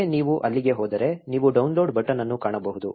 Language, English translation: Kannada, Once you are there, you will find a download button